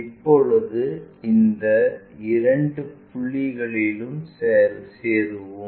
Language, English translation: Tamil, Now, join these two points